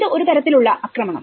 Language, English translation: Malayalam, So, this is one kind of attack